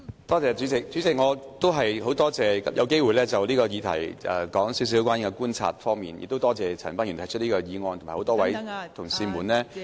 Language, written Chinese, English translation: Cantonese, 代理主席，我很感謝可以就此議題談談我觀察所得，亦感謝陳恒鑌議員提出議案，以及多位同事們......, Deputy President I am grateful to have the chance to speak about my observations on the subject and I thank Mr CHAN Han - pan for moving the motion and Members